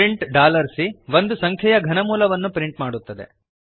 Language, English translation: Kannada, print $C prints cube root of a number